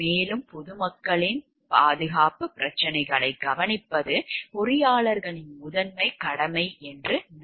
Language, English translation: Tamil, And it is a primary duty of the engineers to look into the safety issues of the public at large